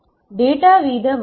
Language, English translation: Tamil, Data rate limits